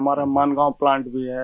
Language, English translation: Hindi, We have a plant in Maangaon too